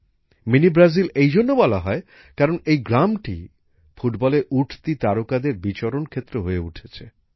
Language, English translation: Bengali, 'Mini Brazil', since, today this village has become a stronghold of the rising stars of football